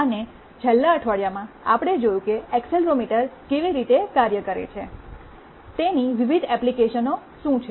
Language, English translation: Gujarati, And in the last week, we saw how an accelerometer works, what are its various applications